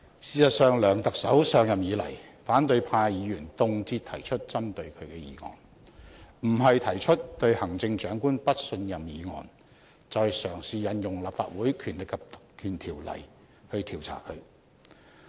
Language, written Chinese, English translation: Cantonese, 事實上，梁特首上任以來，反對派議員動輒提出針對他的議案；不是提出"對行政長官不信任"議案，就是嘗試引用《立法會條例》調查他。, In fact since Chief Executive C Y LEUNG took office the opposition Members have frequently moved motions against him such as the motion of no confidence in the Chief Executive or the motion to invoke the Legislative Council Ordinance to investigate him